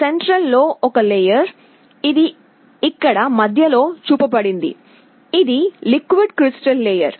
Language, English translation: Telugu, The central thing is a layer, which is shown here in the middle, this is a liquid crystal layer